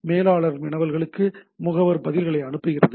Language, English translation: Tamil, So manager sends query agent responses